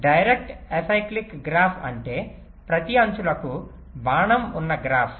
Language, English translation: Telugu, direct acyclic graph means ah graph where every edges has an arrow